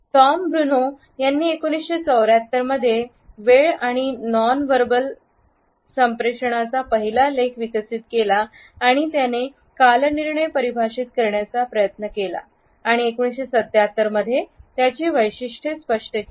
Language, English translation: Marathi, Tom Bruneau developed the first article on time and nonverbal communication in 1974 and he also attempted to define chronemics and outlined its characteristics in 1977